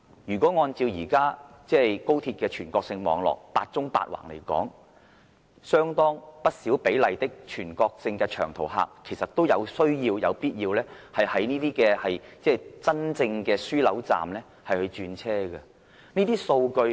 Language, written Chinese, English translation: Cantonese, 如果按照現時高鐵"八縱八橫"的全國性網絡來說，相當不少比例的全國性長途客其實都有需要、有必要在真正的樞紐站轉車。, And as the country embarks on developing a national high - speed rail network comprising eight vertical lines and eight horizontal lines many long - haul passengers across the country in the future must actually switch trains at interchange stations